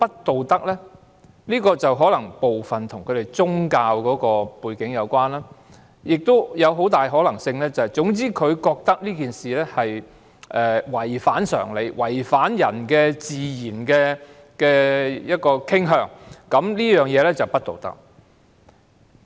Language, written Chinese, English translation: Cantonese, 部分原因可能與他們的宗教背景有關，亦有很大可能是他們覺得這事違反常理，違反人的自然傾向，便是不道德。, Some reasons may be related to their religious backgrounds . It is also very likely that they find such relationships immoral because of perceived violation of common sense and the natural propensities of human beings